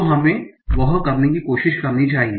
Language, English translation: Hindi, So let us try to do that